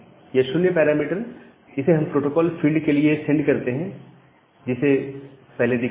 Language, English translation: Hindi, The 0 parameter that we send for the protocol field that we have mentioned